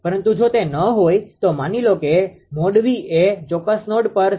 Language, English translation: Gujarati, But if it is not, suppose mod V is equal to at particular node 0